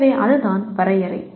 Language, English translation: Tamil, So that is what the definition is